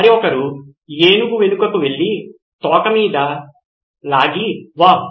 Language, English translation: Telugu, The other one went behind the elephant and pulled on the tail said, Wow